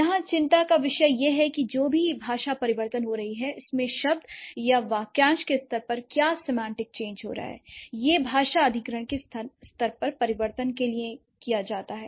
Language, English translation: Hindi, So, the concern here is that whatever language change is happening, what are the semantic change is happening for a particular word or a phrase, it goes to the change at the language acquisition level